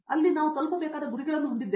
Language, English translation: Kannada, There we had goals that we had to reach and do